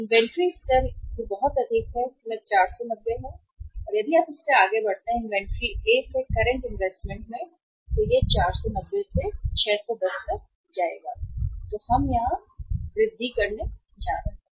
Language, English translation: Hindi, Inventory level is this much that is 490 and if you move from the current to A the investment in the inventory will go up from the 490 to 610